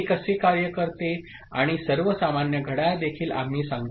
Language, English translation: Marathi, We shall say how it works and all, also a common clock ok